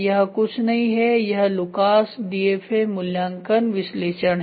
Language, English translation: Hindi, So, this is nothing, but Lucas DFA evaluation analysis